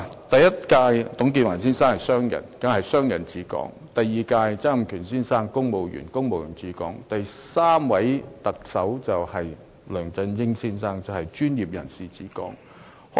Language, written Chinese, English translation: Cantonese, 第一位特首董建華先生是商人，所以是商人治港；第二位特首曾蔭權先生是公務員，所以是公務員治港；到了第三位特首梁振英先生，便是專業人士治港。, The first Chief Executive Mr TUNG Chee - hwa was a businessman so it is a case of businessman administering Hong Kong . The second Chief Executive Mr Donald TSANG was a civil servant so it is a case of civil servant administering Hong Kong . When it comes to the third Chief Executive Mr LEUNG Chun - ying it is a case of professional administering Hong Kong